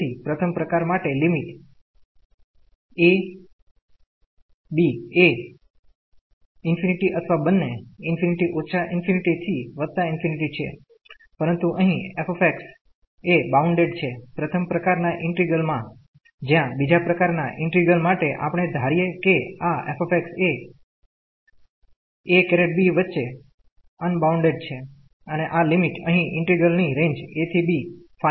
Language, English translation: Gujarati, So, in the first kind the limits either a or b is infinity or both are infinity minus infinity to plus infinity, but here the f x is bounded in the integral of first kind whereas, in the integral of the second kind we assume that this f x is unbounded between this a and b and these limits here the range of the integral is finite from this a to b